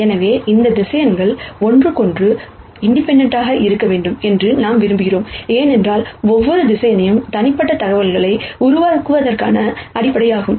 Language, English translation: Tamil, We want these vectors to be independent of each other, because we want every vector, that is in the basis to generate unique information